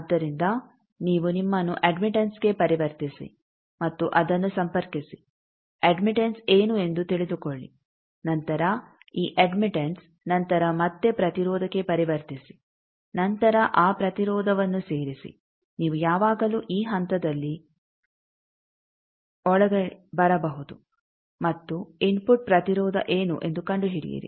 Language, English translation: Kannada, So, you convert yourself to admittance and connect that find out what is the admittance, then at this admittance then again convert to impedance then add that impedance like that you can always come here at this point and find out what is a input impedance